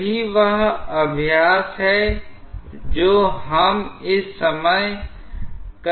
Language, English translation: Hindi, That is what is the exercise we are undergoing at the moment